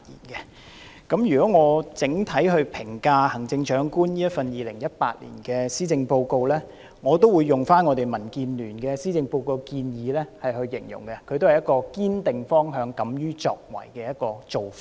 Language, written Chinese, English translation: Cantonese, 如果要我整體評價行政長官2018年的施政報告，我會用我們民主建港協進聯盟對施政報告的期望來形容它，意即施政報告所提出的都是"堅定方向，敢於作為"的做法。, If I am asked to give an overall comment on the Chief Executives 2018 Policy Address I will use the expression describing the expectations that we the Democratic Alliance for the Betterment and Progress of Hong Kong DAB have on the Policy Address . By this I mean the initiatives set out in the Policy Address all show a determination to stick to the right direction and the courage to act